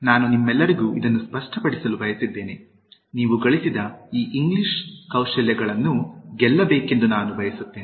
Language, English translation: Kannada, I just wanted to clear to all of you, I want you to Win this English Skills gained